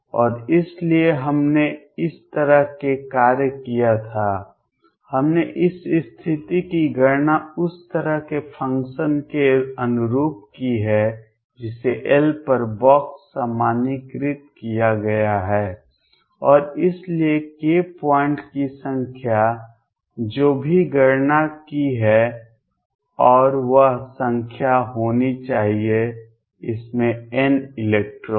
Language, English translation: Hindi, And so, we had taken these way function we have counted this state’s corresponding to the way function which have been box normalized over L and therefore, the number of k points came out to be whatever we have calculated, and that should be the number of electrons n in this